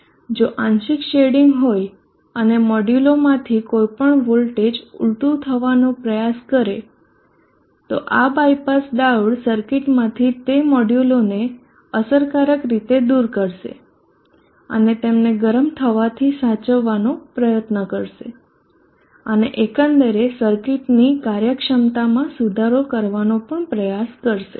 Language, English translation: Gujarati, If there is partial shading any one of the modules try to have the emission in the voltage these bypass diodes will effectively removes those modules out of the circuit and try to save them from becoming hot and also try to improve the efficiency of overall circuit